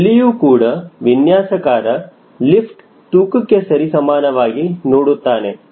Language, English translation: Kannada, here also the designer, when i see lift is equal to weight